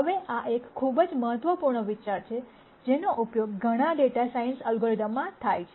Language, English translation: Gujarati, Now this is a very important idea that is used in several data science algorithms